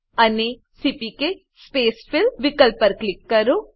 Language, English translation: Gujarati, And click on CPK Spacefill option